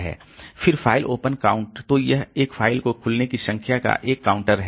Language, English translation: Hindi, Then the file open count so it is a counter of the number of times a file is open